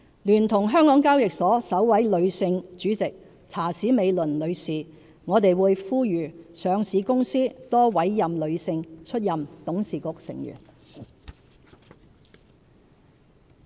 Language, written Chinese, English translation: Cantonese, 聯同香港交易及結算所有限公司首位女性主席查史美倫女士，我們會呼籲上市公司多委任女性出任董事局成員。, Now that the Hong Kong Exchanges and Clearing Limited has its first - ever Chairlady Mrs Laura CHA we call on all listed companies to appoint more females as their board members